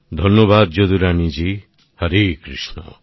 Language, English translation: Bengali, Jadurani Ji, Hare Krishna